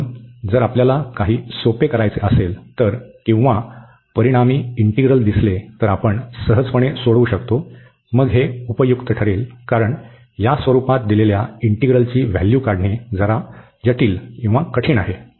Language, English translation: Marathi, So, with the differentiation if we can see some a simplification or the resulting integral, we can easily solve then this going to be useful, because the integral given in this form is its a little bit complicated to evaluate